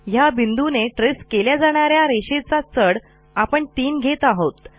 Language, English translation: Marathi, Here we are setting the slope of the line that will be traced by this point to 3